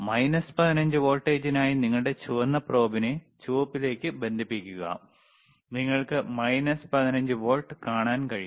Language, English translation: Malayalam, mFor minus 15 volts just connect your red probe to, yes, greenred and you can see minus 15 volts